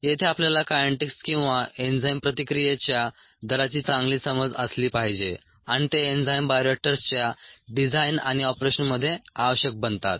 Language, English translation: Marathi, here we need to have a good understanding of the kinetics or the rates of enzymes reaction and they become essential in the design and operation of enzyme bioreactors